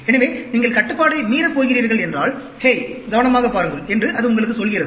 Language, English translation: Tamil, So, if you are going to go out of control, it tells you, hey better watch out